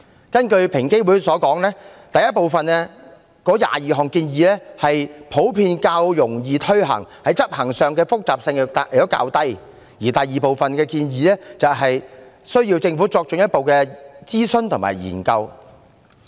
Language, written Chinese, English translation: Cantonese, 根據平機會所言，第一部分的22項建議普遍較容易推行，在執行上的複雜性較低，而第二部分建議需要政府作進一步諮詢和研究。, According to EOC the recommendations in Part I are generally easier to implement and less complex in application whereas those in Part II require further consultation and research by the Government